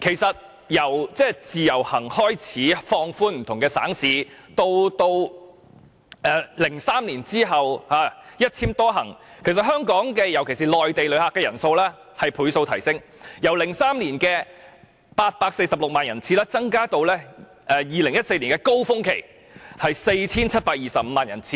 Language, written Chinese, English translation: Cantonese, 從自由行計劃放寬不同省市的旅客來港，至2003年後的"一簽多行"計劃，訪港的內地旅客人數以倍數上升，由2003年的846萬人次增加至2014年高峰期的 4,725 萬人次。, After the Individual Visit Scheme had been introduced to relax restrictions on visitors coming to Hong Kong from different provinces and cities and after the introduction of the Multiple - entry Individual Visit Endorsements Scheme in 2003 the number of Mainland visitor arrivals increased by multiples and grew from 8.46 million in 2003 to the peak 47.25 million in 2014